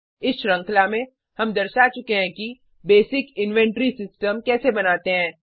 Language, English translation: Hindi, In this series, we have demonstrated how to create a basic inventory system